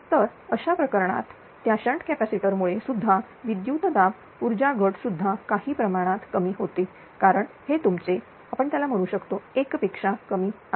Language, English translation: Marathi, So, in that case that due to shnt capacitor also voltage ah power loss also reduced to some extent right because this term will be your what do you call less than less than 1